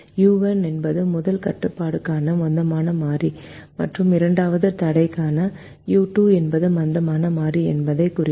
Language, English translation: Tamil, we write u one and u two to indicate that u one is the slack variable for the first constraint and u two is the slack variable for the second constraint